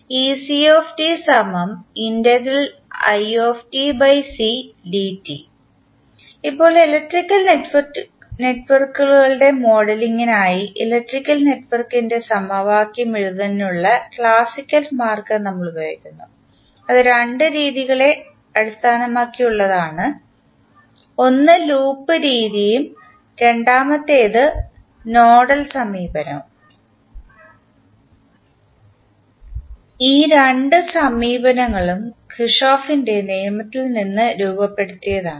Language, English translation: Malayalam, Now, for modeling of electrical networks, we use the classical way of writing the equation of electrical network and it was based on the two methods one was loop method and second was nodal approach and these two approach are formulated from the Kirchhoff’s law